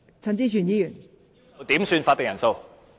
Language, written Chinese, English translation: Cantonese, 代理主席，我要求點算法定人數。, Deputy President I request a headcount